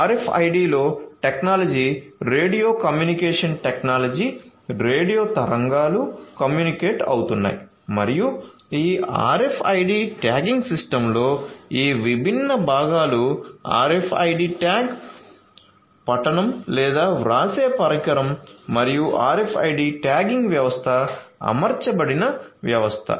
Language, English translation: Telugu, So, in RFID the technology is radio communication technology, so there are radio waves that are communicating and this RFID tagging system will have these different components the RFID tag, the reading or the writing device and the system on which the RFID tagging system is deployed